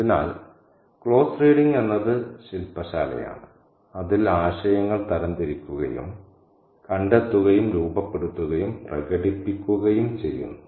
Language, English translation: Malayalam, So, the close reading is the workshop in which ideas are kind of traced and formed and expressed